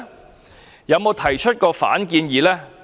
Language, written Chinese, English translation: Cantonese, 它曾否提出反建議呢？, Has it provided any advice?